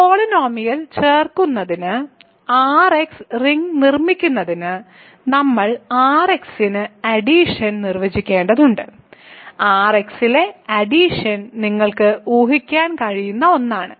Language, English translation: Malayalam, So, to add polynomials, so in order to make R x ring we have to define addition on R x and multiplication on R x addition is the something that you can guess